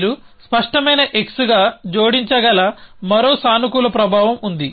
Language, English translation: Telugu, There were one more positive effect which is you can add as clear x